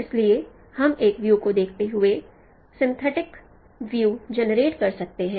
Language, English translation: Hindi, So we can generate synthetic views given a view